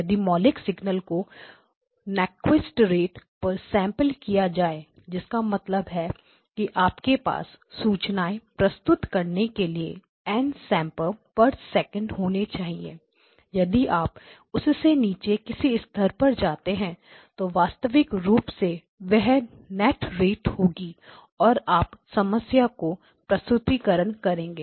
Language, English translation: Hindi, If the original signal was sampled at Nyquist rate, that means you need n samples per second to represent the information if you go anything lower than that obviously there will be because it is a net rate so you will run into the problems of representations